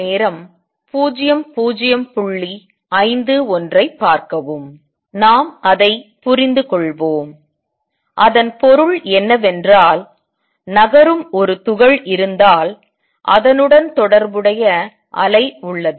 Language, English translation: Tamil, Let us understand that, what it means is that if there is a particle which is moving there is a associated wave